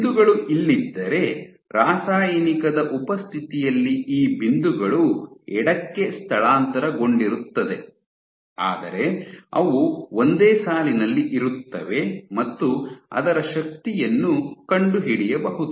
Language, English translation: Kannada, If earlier points were up here in the presence of drug these points shifted to the left, but they fell on the same line and on top of that you could find out a force